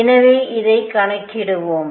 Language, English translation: Tamil, So, let us calculate this